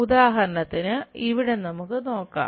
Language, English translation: Malayalam, For example, here let us look at that